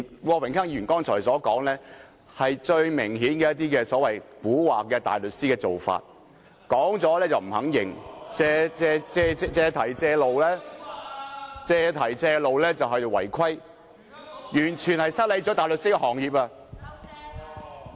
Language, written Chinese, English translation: Cantonese, 郭榮鏗議員剛才所說的話，明顯是一些所謂"蠱惑大律師"的做法，發言後又不肯承認，借題發揮，借機會違規，完全失禮大律師行業。, The remark made by Mr Dennis KWOK just now is obviously the tricks played by some tricky barristers . They will refuse to admit what they have said . Instead they will seize on an incident to exaggerate matters and also take every opportunity to breach the rules